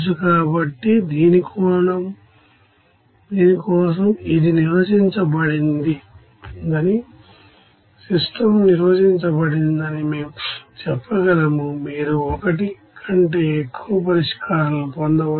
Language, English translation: Telugu, So, for this we can say this is under defined, the system is under defined, you may get more than one solution